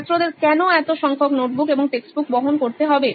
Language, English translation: Bengali, Why do students need to carry so many notebooks and textbooks